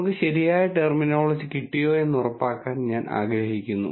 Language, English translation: Malayalam, I just want to make sure that we get the terminology right